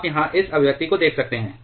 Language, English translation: Hindi, You can just look at this expression here